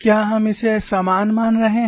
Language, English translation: Hindi, Are we having it as equal